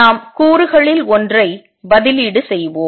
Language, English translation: Tamil, Let us substitute for one of the components